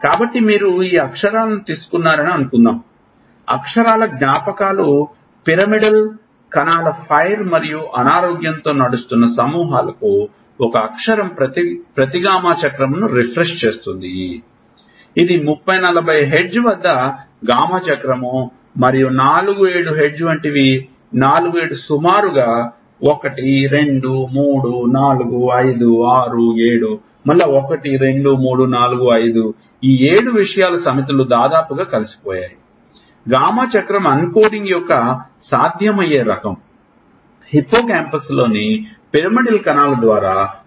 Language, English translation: Telugu, So, suppose you take this letters, memories of letter is to groups of pyramidal cells fire and sick running for example, one letter refreshes each gamma cycle this is a gamma cycle at 30, 40 hertz right and these are like 4 to 7 hertz see 4 to 7 rub approximately, 1, 2, 3, 4, 5, 6, 7, 1, 2, 3, 4, 5, these sets of 7 things are almost integrated see each gamma cycle is a possible type of uncoding which is going on and these respond through the cells, the pyramidal cells in a hippocampus